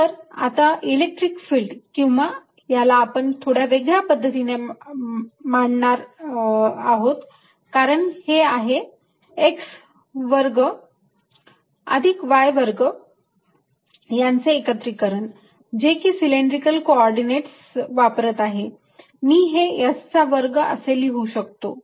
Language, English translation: Marathi, then the electric field, or let's write this slightly: difference, because this come in the combination of x square plus y square which, using cylindrical co ordinate, i can write as a square